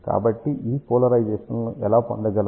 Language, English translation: Telugu, So, how do we get these polarizations